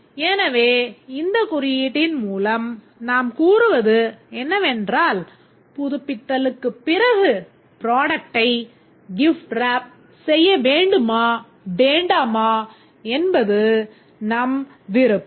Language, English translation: Tamil, So, by this notation we can say that after checkout there will be an option that whether to gift wrap the product or not